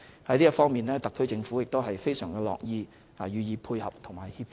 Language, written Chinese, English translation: Cantonese, 在這方面，特區政府非常樂意予以配合和協助。, The SAR Government is very willing to cooperate and help in this regard